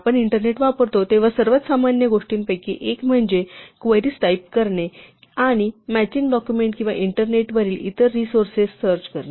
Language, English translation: Marathi, One of the most common things we do when we use the internet is to type queries and look for matching documents or other resources on the internet